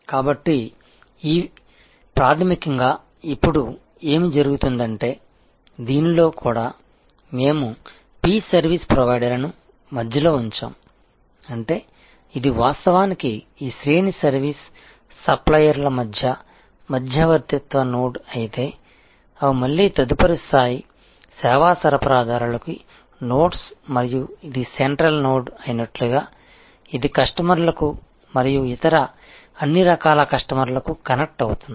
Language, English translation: Telugu, So, fundamentally what is now happening is that you will see even in this we have put P the service provider in the center, which means as if this is actually the mediating node between this range of service suppliers, who are themselves again nodes of next level service suppliers and as if this is the central node, which connects to customers and all the other types of customers